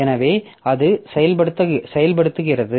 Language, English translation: Tamil, So, it was executing